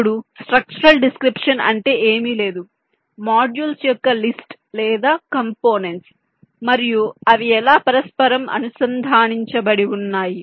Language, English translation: Telugu, ok, now such a structural description is, as i said, nothing but a list of modules or components and how their interconnected